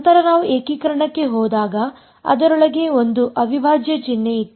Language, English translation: Kannada, Then when we went to integration there was an integral sign inside it